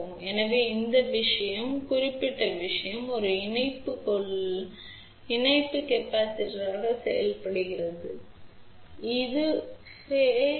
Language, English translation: Tamil, So, you can see over here this particular thing acts as a patch capacitance